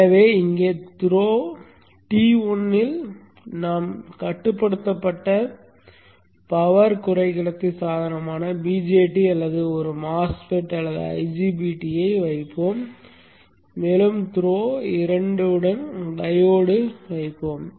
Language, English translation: Tamil, So here at the throw T1 we will put the controlled power semiconductor device VJT or a MOSFET or 90 BT and along through 2 we will put the dive